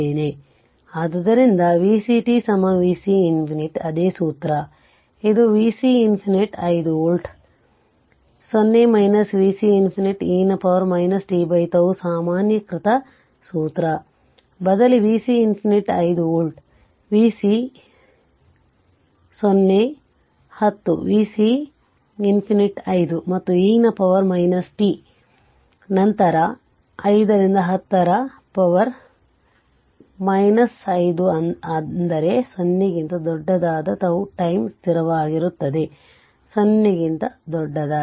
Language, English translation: Kannada, Therefore, v c t is equal to v c infinity the same formula, that v c infinity plus v c 0 minus v c infinity e to the power minus t by tau generalized formula, you substitute v c infinity 5 volt, v c 0 10, v c infinity 5, and e to the power minus t, then by 5 into 10 to the power minus 5 that is tau time constant for t greater than 0